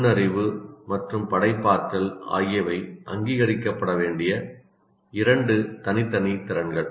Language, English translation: Tamil, And intelligence and creativity are two separate abilities